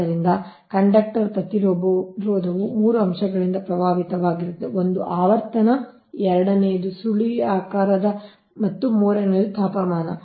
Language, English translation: Kannada, so the conductor resistance is affected by three factors: one is the frequency, second is the spiralling and third is the temperature